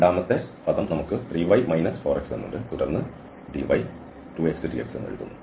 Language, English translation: Malayalam, So 3 x square minus 4 x and then dy is written as 2 x, dx